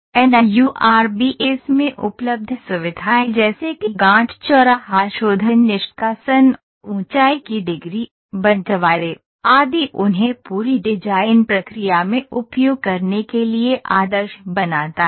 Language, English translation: Hindi, Number facilities available in NURBS: such as knot intersection refinement removal, degree of evaluation, splitting, makes it more and more flexible through the design process